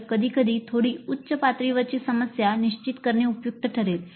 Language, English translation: Marathi, So sometimes it may be useful to set a problem which is at a slightly higher level